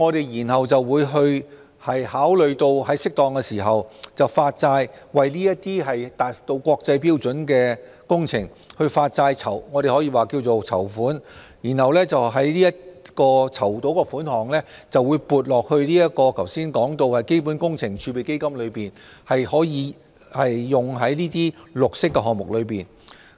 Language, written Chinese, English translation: Cantonese, 然後，我們會考慮於適當時候在符合國際綠色債券發行標準的情況下發債，或稱為籌款，籌得的款項會撥入剛才提及的基本工程儲備基金，用於綠色項目之上。, Then we will consider at an appropriate time issue bonds in compliance with international standards for green bond issuance or what is called raise fund . The proceeds will be credited to the above mentioned CWRF for the green projects